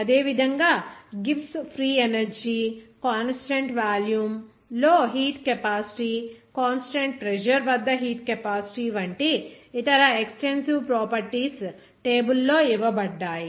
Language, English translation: Telugu, Similarly, other extensive properties are given in the table like Gibbs free energy, heat capacity at constant volume, even heat capacity at constant pressure